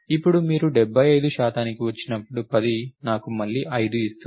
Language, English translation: Telugu, Now, when you come to 75 percent 10 will give me 5 again